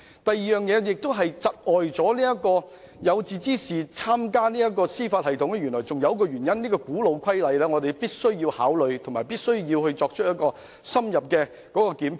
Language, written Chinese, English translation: Cantonese, 第二個窒礙有志之士加入司法機構的原因，是一項古老的規則，就是"一入侯門深似海"，我們亦必須予以考慮並作深入檢討。, The second reason that discourages aspiring persons to join the Judiciary is the conventional rule that one is stuck once you enter a royal family . We must consider and thoroughly review such a rule